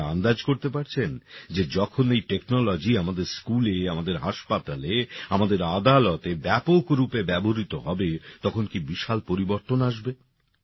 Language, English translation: Bengali, You can imagine how big a change would take place when this technology starts being widely used in our schools, our hospitals, our courts